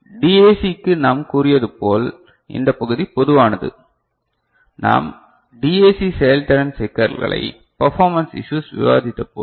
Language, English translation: Tamil, So, for DAC as I said this part is common, when we discussed DAC performance issues